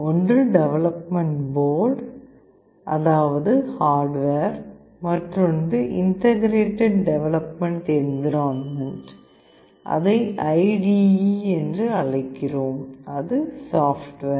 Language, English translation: Tamil, One is the development board, that is the hardware that is required, and another is Integrated Development Environment, we call it IDE that is the software